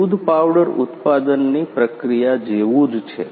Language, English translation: Gujarati, The process of milk powder manufacturing is like the way